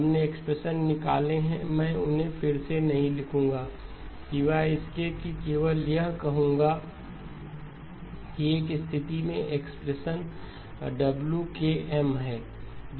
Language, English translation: Hindi, We derived the expressions, again I wold not rewrite them just except just highlight saying that in one case the expression has WM K